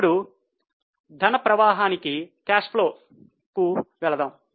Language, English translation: Telugu, Now let us go to cash flow